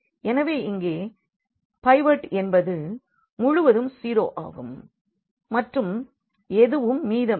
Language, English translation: Tamil, So, here this is pivot everything 0 here and there is nothing left